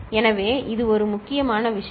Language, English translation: Tamil, So, this is one important thing